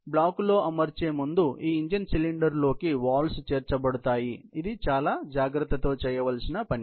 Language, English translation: Telugu, The valves have been inserted into the head of this engine cylinder, before assembling into the final block and there is a matter of precision